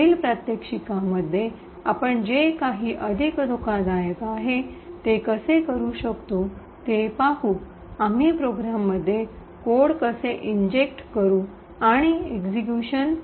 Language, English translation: Marathi, In the next demonstration what we will see is how we could do something which is more dangerous, we would see how we could actually inject code into a program and force a payload to the executed